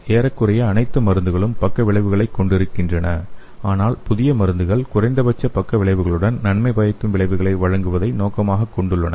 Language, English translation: Tamil, Almost all drugs have side effects but new drugs aim to provide beneficial effects with the minimal side effects